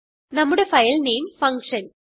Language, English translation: Malayalam, Note that our filename is function